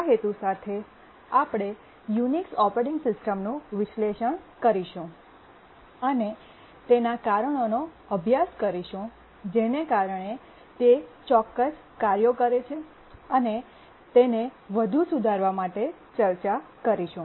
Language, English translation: Gujarati, And with this intention, we are trying to dissect the Unix operating system and find why it does certain things and how it can be improved